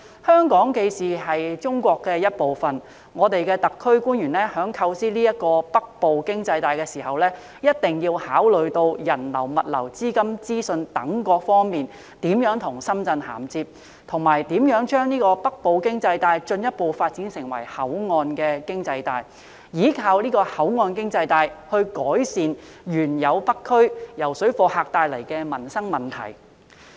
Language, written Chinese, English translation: Cantonese, 香港既是中國的一部分，我們的特區官員在構思這條"北部經濟帶"的時候，一定要考慮人流、物流、資金及資訊等各方面如何跟深圳銜接，以及如何將北部經濟帶進一步發展成口岸經濟帶，依靠口岸經濟帶改善原有北區由水貨客帶來的民生問題。, Since Hong Kong is part of China when our officials of the SAR Government design the Northern Economic Belt they must consider how flows of people goods capital information etc . can be interfaced with Shenzhen and how the Northern Economic Belt can be further developed into a port economic belt on which we can rely to alleviate the current livelihood problems in the North District brought by parallel traders